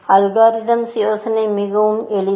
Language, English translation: Tamil, The algorithm idea is very simple